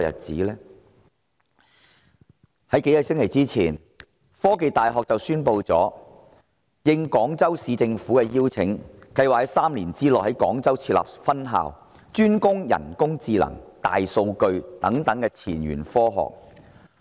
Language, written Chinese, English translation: Cantonese, 在數個星期前，香港科技大學宣布，應廣州市政府的邀請，計劃在3年內於廣州設立分校，專攻人工智能、大數據等前沿科學。, A few weeks ago The Hong Kong University of Science and Technology HKUST announced that it would at the invitation of the Government of Guangzhou Municipality set up a new campus in Guangzhou within three years with a special focus on such cutting - edge technologies as artificial intelligence and big data